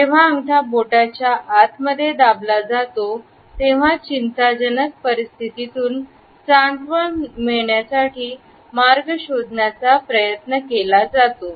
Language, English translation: Marathi, When a thumb has been tucked inside the fingers, it is often considered a way to find certain comfort in an otherwise anxious situation